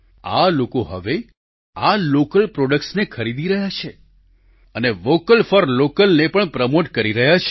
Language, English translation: Gujarati, These people are now buying only these local products, promoting "Vocal for Local"